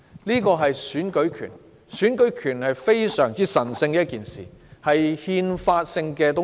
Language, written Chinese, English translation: Cantonese, 然而，選舉權是一件非常神聖的東西，也是憲法性的東西。, However the right to vote is a very sacred and constitutional matter